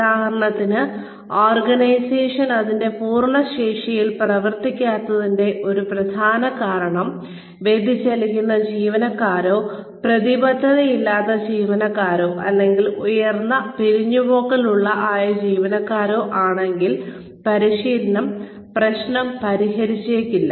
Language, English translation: Malayalam, If, for example, if a major reason for the organization, not performing up to its full potential, is deviant employees, or uncommitted employees, or employees, who are, or maybe a high turnover, then training may not solve the problem